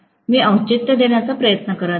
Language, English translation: Marathi, I am trying to give a justification, right